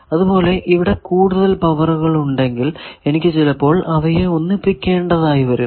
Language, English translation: Malayalam, Similarly, if there are several powers are coming I need to sometimes combine the power